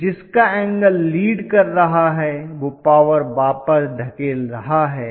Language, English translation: Hindi, So, whichever is having a leading angle that pushes the power in